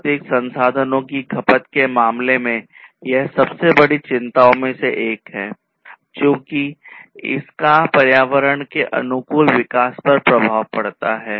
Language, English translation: Hindi, So, in terms of consumption of natural resources this is one of the very biggest concerns, because that has impact on the sustainable development which is environment friendly